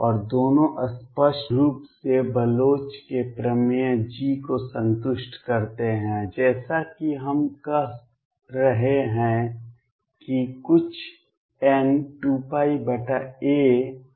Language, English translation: Hindi, And both satisfy the Bloch’s theorem G obviously, as I we have been saying is some n times 2 pi over a